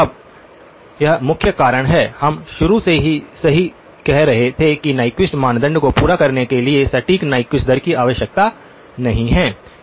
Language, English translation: Hindi, Now, this is the main reason, why right from the beginning we were saying do not do exact Nyquist rate need to over satisfy the Nyquist criterion